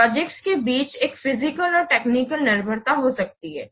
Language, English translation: Hindi, There may be, see, there may be physical and technical dependencies between projects